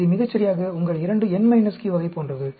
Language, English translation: Tamil, This is exactly like your 2n minus q type of thing